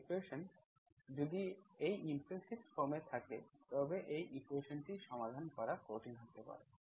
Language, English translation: Bengali, If the equation is in this implicit form, it may be difficult to solve this equation